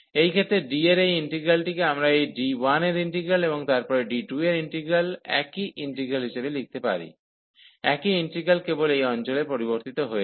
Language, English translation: Bengali, So, in that case this integral over D, we can write the integral over this D 1 and then the integral over D 2 the same integrant, same integral only this region has changed